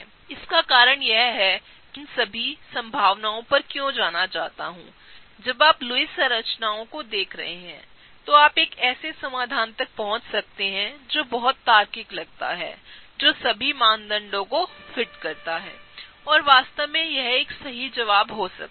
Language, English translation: Hindi, The reason is that, why I want to go over all of these possibilities is that when you are looking at Lewis structures, you can arrive to a solution that seems very logical that fits all the criteria’s and that is in fact it could be one of the right answers